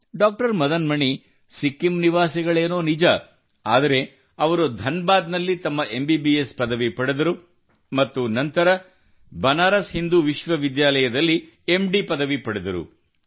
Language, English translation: Kannada, Madan Mani hails from Sikkim itself, but did his MBBS from Dhanbad and then did his MD from Banaras Hindu University